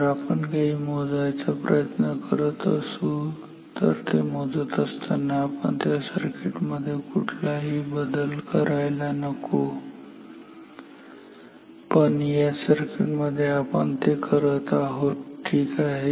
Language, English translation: Marathi, If we are trying to measure something we should not change that while measuring it, but in this circuit we are doing that ok